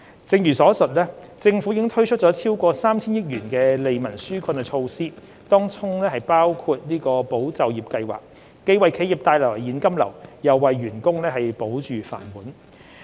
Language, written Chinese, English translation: Cantonese, 正如上述，政府已推出超過 3,000 億元的利民紓困措施，當中包括"保就業"計劃，既為企業帶來現金流，又為員工保住"飯碗"。, As mentioned above the Government has implemented relief measures of over 300 billion including ESS which brings cash flow to enterprises and safeguards jobs for staff